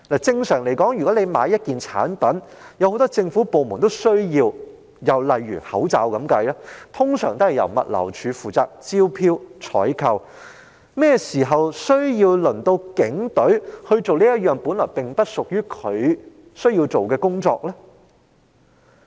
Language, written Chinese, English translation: Cantonese, 正常來說，若要購買很多政府部門均需要使用的物品，例如口罩，一般會由政府物流服務署負責進行招標和採購，何曾需要警隊處理本來不屬其職責範圍的工作？, Normally with regard to the purchase of goods items widely used among many government departments such as face masks the Government Logistics Department will generally be responsible for handling the relevant tendering and procurement procedures and has it ever become necessary for the Police Force to perform such duties that are not within its scope of responsibilities?